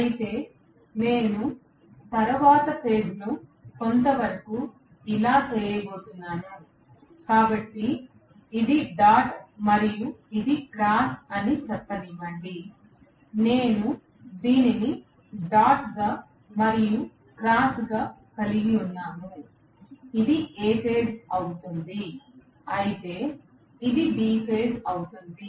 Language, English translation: Telugu, Whereas, I am going to have the next phase somewhat coming like this, so this is dot and let us say this is cross, I will have this as dot and this as cross, this will be A phase whereas this will be B phase